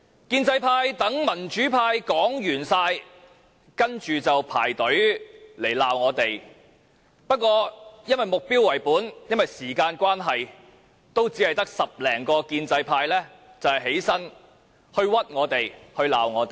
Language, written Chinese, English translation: Cantonese, 建制派待民主派所有議員發言後，便排隊罵我們，但因為目標為本和時間關係，只有10多名建制派議員站起來冤枉我們，責罵我們。, Pro - establishment Members have waited for their turn to chastise us after all pro - democracy Members had spoken . However owing to the target - oriented approach and time constraints only some 10 pro - establishment Members had stood up to wrong us or berate us